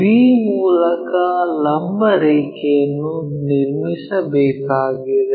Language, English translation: Kannada, Through b we have to draw a perpendicular line